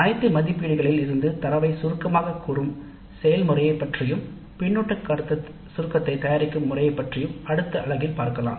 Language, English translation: Tamil, And in the next unit we will understand the process of summarization of data from all evaluations and the preparation of summary feedback to self